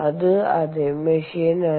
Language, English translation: Malayalam, ok, its the same machine